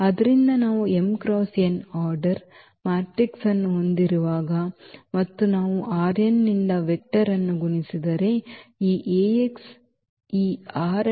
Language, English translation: Kannada, So, when we have a matrix of m cross n order and if we multiply vector from R n, so, this Ax will be a vector in this R m space